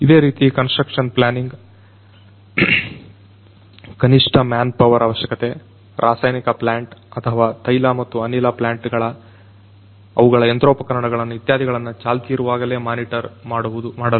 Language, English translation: Kannada, Similarly, construction planning, reduced manpower requirement, monitoring these chemical plants or the oil and gas plants their machinery etc